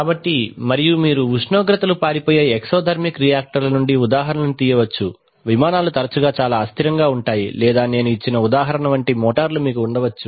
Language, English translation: Telugu, So and you can draw examples from exothermic reactors where temperatures tend to run away, aircraft where aircrafts are often very often unstable, or you can have motors like the example that I have given